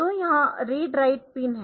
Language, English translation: Hindi, So, this enable pin